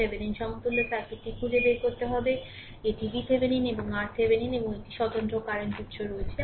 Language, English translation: Bengali, We have to find out the Thevenin equivalent circuit; that is your V Thevenin and your R Thevenin right and one independent current source is there